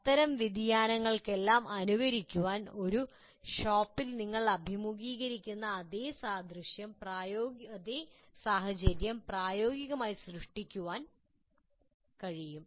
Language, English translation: Malayalam, So all such variations can be simulated and practically create exactly the same circumstances that you can encounter in a shop like that